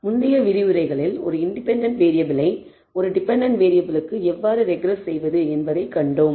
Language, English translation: Tamil, In the preceding lectures we saw how to regress a single independent variable to a dependent variable